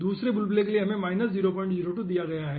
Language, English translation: Hindi, and for the another bubble we have given minus 0 point 02